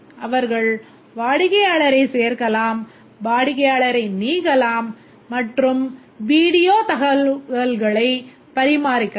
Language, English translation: Tamil, They can add customer, delete customer, and also they can maintain about the video information